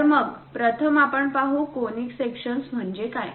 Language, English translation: Marathi, So, first of all, let us look at what is a conic section